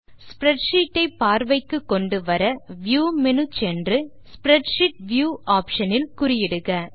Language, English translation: Tamil, To make the spreadsheet visible go to the view menu option and check the spreadsheet view option